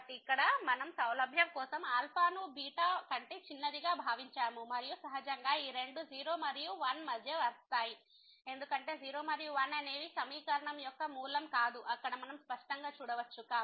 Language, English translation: Telugu, So, here we just for the convenience we have assume that alpha is smaller than beta and naturally these two will fall between 0 and 1; because 0 and 1 are is not the root of the equation which clearly we can see there